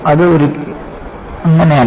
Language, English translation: Malayalam, It is never the case